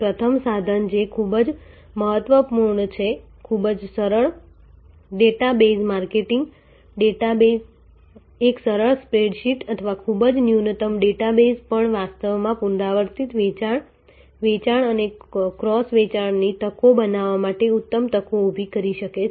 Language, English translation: Gujarati, First tool that is very important, very simple data base marketing, even a simple spread sheet or a very minimal database can actually create a excellent opportunities for creating repeat sales, for creating up sales and cross sales opportunities